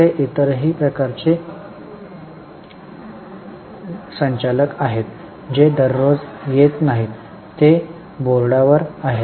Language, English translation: Marathi, There are also other type of directors who do not come every day